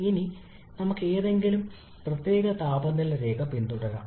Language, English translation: Malayalam, Now let us follow any particular temperature line